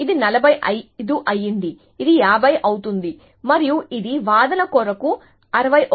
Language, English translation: Telugu, So, let us say, this is become 45, this becomes 50 and this become 61 for arguments sake